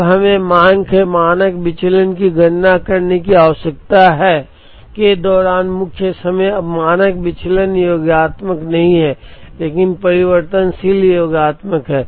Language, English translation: Hindi, Now we need to calculate the standard deviation of the demand during the lead time, now standard deviations are not additive but, variances are additive